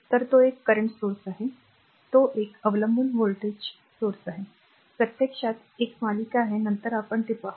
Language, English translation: Marathi, So, it is a current source it is a dependent voltage source, there is series actually later we will see that